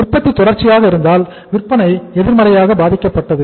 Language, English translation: Tamil, The production was continuous, sales were affected negatively